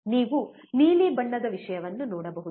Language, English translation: Kannada, You can see blue color thing